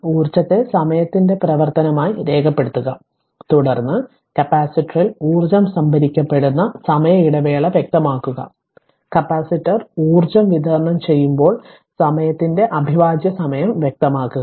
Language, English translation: Malayalam, Sketch the energy as function of time, then specify the interval of time when energy is being stored in the capacitor and specify the integral of time when the energy is delivered by the capacitor